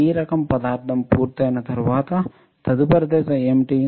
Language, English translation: Telugu, P type material once that is done; what is the next step